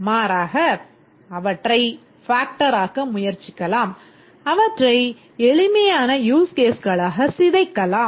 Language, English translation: Tamil, We try to factor them or decompose them into simpler use cases